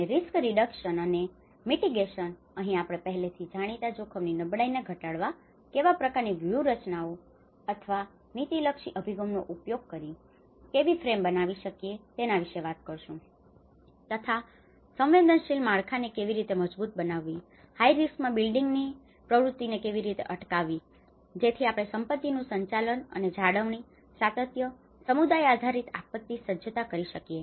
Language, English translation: Gujarati, And risk reduction and mitigation: Here, we talk about what kind of strategies or the policy orientation, how we can frame to reduce the vulnerability to already known risks, and we have to talk about how to strengthen vulnerable structures, prevent building activity in high risk, so how we can prevent those activities and managing and maintaining assets, continuity, also community based disaster preparedness